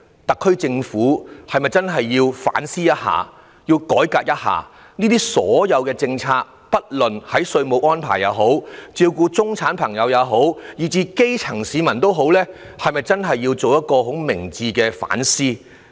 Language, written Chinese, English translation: Cantonese, 特區政府是否應該反思一下，並改革一下政策，不論是稅務安排也好、照顧中產或基層市民也好，都需要進行一次明智的反思。, Should the SAR Government reflect on itself and initiate reforms on its policies? . Wise reflection is invariably needed on various fronts be it taxation arrangement or care provision for the middle - class or grass - roots citizens